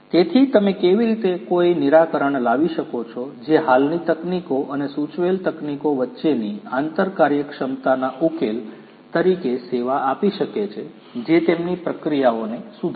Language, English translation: Gujarati, So, how you can how you can come up with a solution that can serve as an interoperability solution between the existing technologies and the suggested technologies which are going to improve their processes